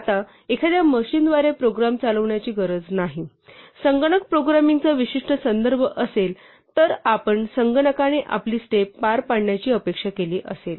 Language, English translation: Marathi, Now a program need not be executed by a machine although that will the typical context of computer programming were we expect a computer to execute our steps